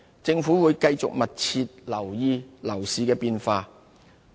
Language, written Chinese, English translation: Cantonese, 政府會繼續密切留意樓市的變化。, The Government will keep a close watch over changes in the property market